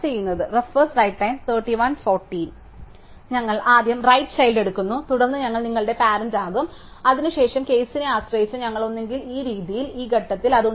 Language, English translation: Malayalam, So, we first take the right child and then we reset its parent to be your own parent and there after that depending on the case, we either make at this point like this, at this point like this